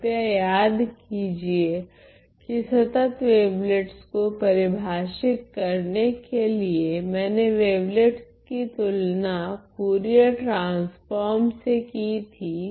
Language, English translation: Hindi, Please recall that for describing continuous wavelets I was comparing those wavelets with respect to Fourier transform ok